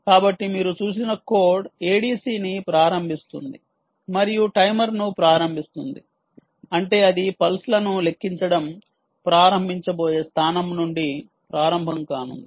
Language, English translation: Telugu, so the code that you saw their initializing a d c and start timer means it is going to start from the point where it is going to start counting the pulses